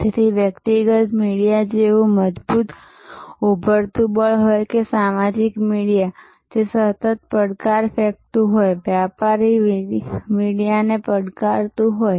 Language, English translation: Gujarati, So, whether there is a strong emerging force like the personal media or social media, which is constantly challenge, challenging the commercial media